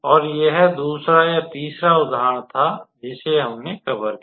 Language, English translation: Hindi, And this was the second example or third example basically which we covered